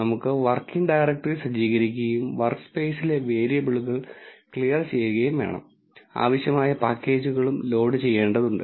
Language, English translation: Malayalam, We need to set the working directory, clear the variables in the workspace, we also need to load the required packages